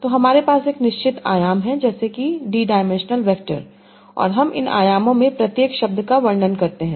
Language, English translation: Hindi, So I am a fixed dimension like D dimensional vector and I represent each word in these D dimensions